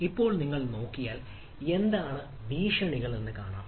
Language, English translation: Malayalam, now, if you look at that, what are the threats